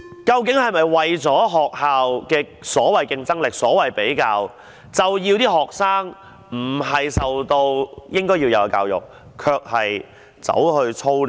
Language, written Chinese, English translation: Cantonese, 究竟這是否為了凸出學校的所謂的競爭力而進行的比較，而致令學生接受不到應要接受的教育，卻要為 TSA 操練？, After all is said and done will the comparison among schools which seeks to highlight the competitive edge of schools lead to forcing students to receive the education they should not receive and doing drills for TSA?